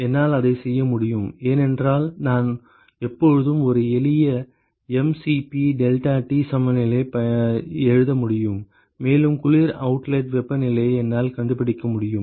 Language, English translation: Tamil, I can do that because I can always write up a simple mCp deltaT equivalence and I can find out the cold outlet temperature